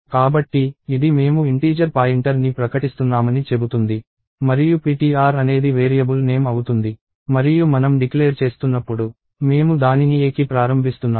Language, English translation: Telugu, So, this says we are declaring an integer pointer and the variable name is ptr and right when we are declaring, we are also initializing it to a